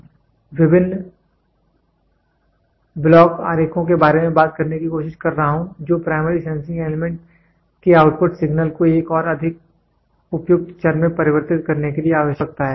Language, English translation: Hindi, I am trying to talk about various block diagrams it may be necessary to convert the outputs signal of the primary sensing elements to another more suitable variable